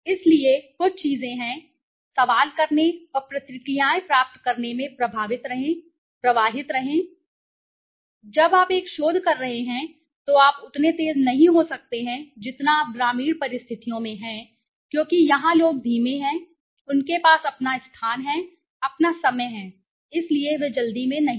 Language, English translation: Hindi, So, there are some of things right, be flow in the questioning and getting responses, when you are conducting a research, you cannot be as fast as you are in you know rural conditions because here the people are slow they have their own space, their own time, so they are not in the hurry